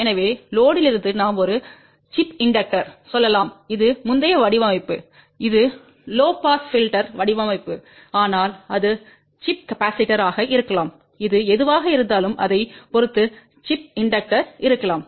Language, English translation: Tamil, So, from the load we have to addlet us say a chip inductor this is the previous design, this is that a low pass filter design, but it can be chip capacitor this can be chip inductor depending upon whatever the case may be